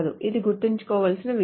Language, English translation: Telugu, This is something to be remembering